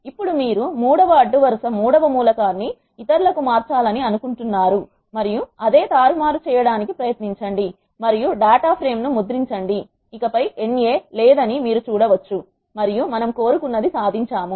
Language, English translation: Telugu, Now try doing the same manipulation you want to change the third row third element to others and print the data frame you can see that there is no NA anymore and we achieved what we want